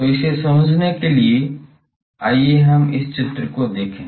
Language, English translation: Hindi, So, to understand this let us look at the this diagram